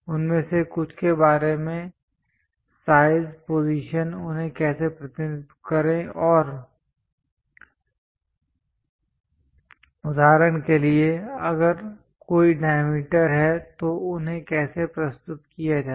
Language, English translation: Hindi, Some of them about size, position, how to represent them and for example, if there are any diameters how to represent them